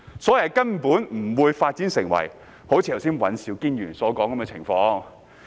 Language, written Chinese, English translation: Cantonese, 所以，根本不會發展至尹兆堅議員剛才所說的情況。, Hence the situation mentioned by Mr Andrew WAN just now will not occur at all